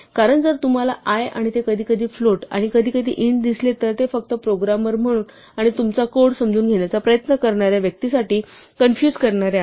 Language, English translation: Marathi, Because if you see an i and sometimes its a float and sometimes its an int it is only confusing for you as a programmer and for the person trying to understand your code